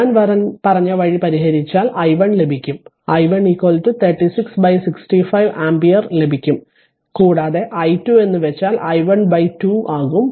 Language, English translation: Malayalam, Then you will get if you solve the way I told you i 1 is equal to you will get 36 by 65 ampere and i 2 is just i 1 by 2